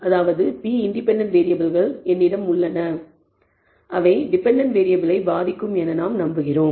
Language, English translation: Tamil, There are p independent variables which we believe affect the dependent variable